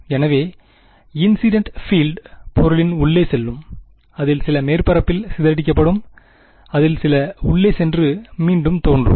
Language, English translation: Tamil, So, the incident field will go inside the object, some of it will gets scattered by the surface, some of it will go inside and will reemerge